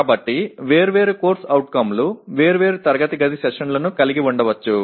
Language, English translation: Telugu, So different COs may have different number of classroom sessions